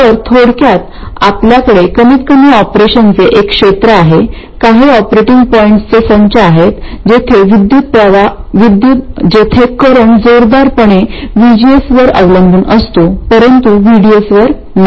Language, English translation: Marathi, So, in summary, we have at least one region of operation, some set of operating points where the current is strongly dependent on VCS but not on VDS